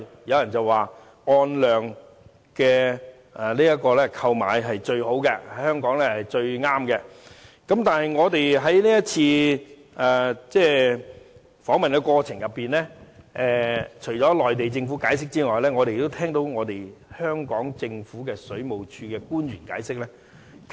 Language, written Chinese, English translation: Cantonese, 有人說按量購買對香港是最好的，但我們在這一次參觀的過程中，除了聆聽內地政府解釋外，我們也聆聽了香港政府水務署的官員解釋。, Someone says that a quantity - based charging approach will be the most favourable to Hong Kong . However during our duty visit we listened not only to the explanations of the Mainland authorities but also to those made by the officials of the Water Supplies Department of the Hong Kong Government